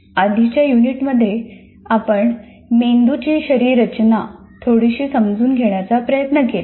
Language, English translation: Marathi, In the earlier unit, we tried to understand a little bit of the anatomy of the brain